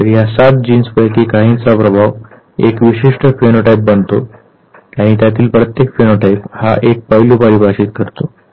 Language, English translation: Marathi, So, some total of this 7 genes their effect becomes a particular phenotype and each of them defines one aspect of it